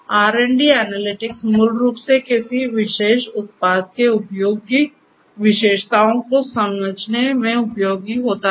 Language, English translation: Hindi, For R and D analytics is useful to basically understand the usage characteristics of a particular product